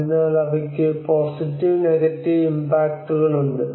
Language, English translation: Malayalam, So they have both positive and negative impacts